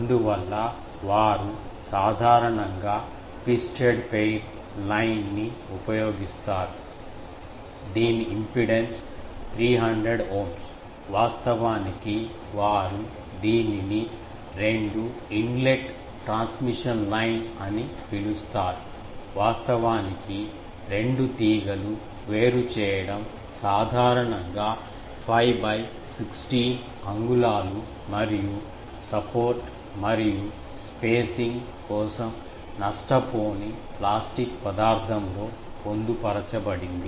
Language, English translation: Telugu, That is why TV people they generally use a twisted pair line which impedance is 300 Ohm which actually they you call it two inlet transmission line; actually the separation of the two wires that is typically 5 by 16 inch and embedded in a no loss plastic material for support and spacing